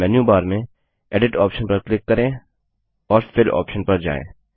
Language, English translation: Hindi, Click on the Edit option in the menu bar and then click on the Fill option